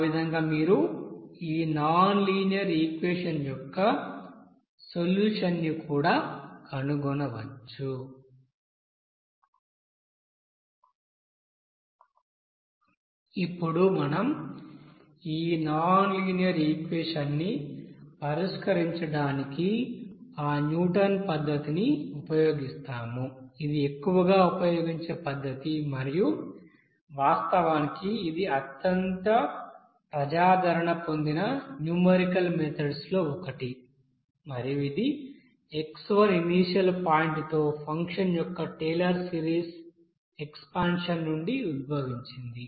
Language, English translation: Telugu, Now we will then do that Newton's method to solve this nonlinear equation which is mostly used and this is actually one of the most popular numerical methods and this is basically originates from the Taylor's you know series expansion of the function about the point suppose x1 initial point